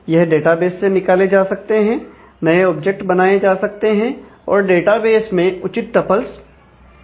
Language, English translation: Hindi, They can be extracted from the database; new objects can be created and mapping use to create a appropriate tuples in the database